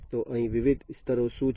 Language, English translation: Gujarati, So, what are the different layers over here